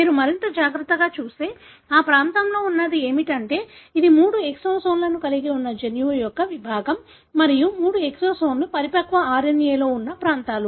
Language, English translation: Telugu, If you look more carefully what is there in that region is that this is a segment of the gene which has got three exons and the three exons are regions that are present in the mature RNA